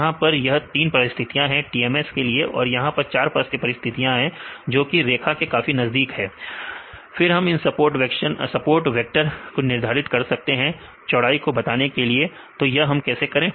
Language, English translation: Hindi, So, these are the 3 cases in a TMS and here these are the four cases that is a very close to this line right then we can decide these support vectors to define the width right how to do this